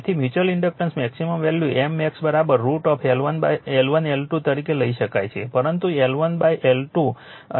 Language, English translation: Gujarati, So, therefore, therefore, the maximum value of mutual inductance can be taken as M max is equal to root over L 1 L , but not L 1 L 2 by 2 right